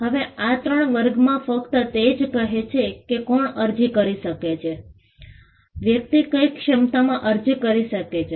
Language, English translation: Gujarati, Now, these three categories only say who can apply; in what capacity a person can apply